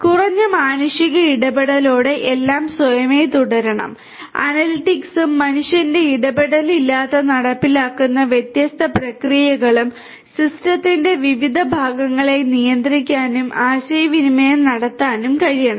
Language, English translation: Malayalam, Automatic with minimum human intervention everything should continue, the analytics and the different processes that get executed without any human intervention ideally should be able to control and communicate with the different parts of the system